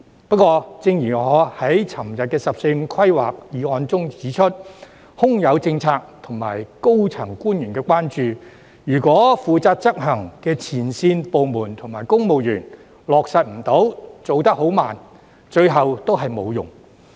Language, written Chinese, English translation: Cantonese, 不過，正如我昨天就有關"十四五"規劃的議案發言時指出，即使有政策和高層官員關注，如果負責執行的前線部門和公務員無法落實、做得慢，最後也沒用。, However as I pointed out in my speech on the motion about the 14th Five - Year Plan yesterday even with policies in place and senior officials concern it would be meaningless in the end if the departments and civil servants responsible for policy execution in the front line fail to implement or implement inefficiently